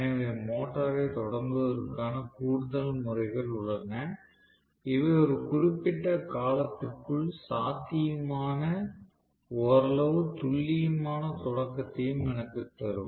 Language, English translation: Tamil, So there are more methods of starting which will also give me somewhat accurate starting that is possible within certain duration of time and so on